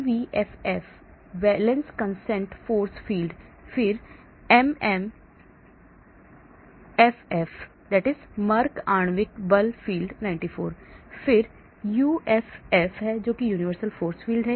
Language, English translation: Hindi, CVFF: Valance Consistent Force Field, then MMFF: Merck Molecular Force Field 94, then UFF: Universal Force Field